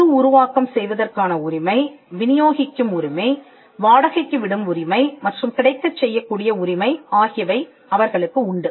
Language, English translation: Tamil, They have the right of reproduction, right of distribution, right of rental and right of making available